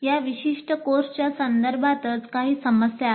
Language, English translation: Marathi, There is some issue with regard to this particular course itself